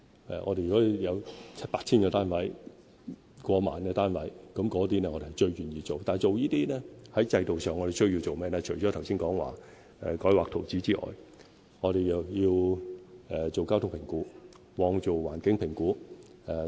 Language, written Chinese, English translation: Cantonese, 如果有 7,000、8,000 或超過1萬個單位的建屋計劃，我們最願意去做，但做這些工作的同時，制度上除了需要我剛才說的改劃圖則之外，我們還要進行交通評估、環境評估等。, We are most willing to embark on housing projects which will produce 7 000 8 000 or more than 10 000 flats but the system requires rezoning of land use as I mentioned earlier as well as traffic assessments environmental assessments etc